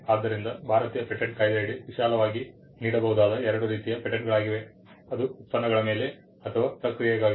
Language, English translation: Kannada, So, the two kinds of patents broadly that can be granted under the Indian patents act are either for a product or for a process